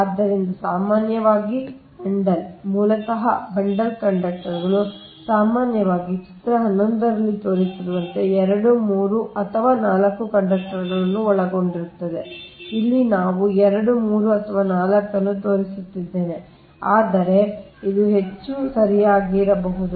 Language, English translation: Kannada, so generally the bundle, so basically bundled conductors, usually comprises two, three or four conductors, as shown in figure eleven right here i am showing two, three or four, but it maybe more also, right